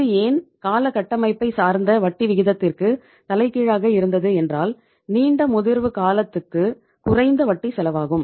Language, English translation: Tamil, Why it was reverse of the term structure of interest rates means lesser longer the maturity period lesser is the interest cost